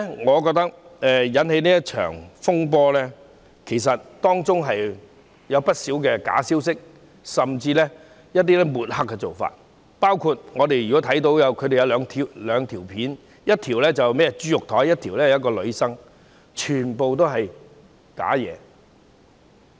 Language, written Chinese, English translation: Cantonese, 我覺得今次這場風波是由不少假消息甚至抹黑引起，包括我們看到的兩段短片，一段是豬肉檯，一段是一位女生，全都是虛假的。, I think this turmoil was caused by a lot of disinformation and smearing including the two video clips that we could see one about a meat stall the other about a girl which are all false